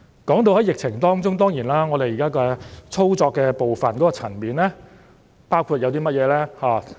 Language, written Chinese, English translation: Cantonese, 說到疫情的處理，我們現時在操作的部分包括甚麼層面呢？, Speaking of the handling of the epidemic what areas of work do we include in the part of operation now?